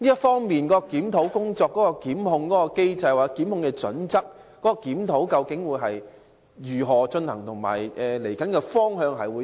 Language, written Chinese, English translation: Cantonese, 針對檢控機制或檢控準則的檢討工作將如何進行，其未來的方向為何？, How will the review on the prosecution mechanism or prosecution criteria be conducted and what will be its way forward?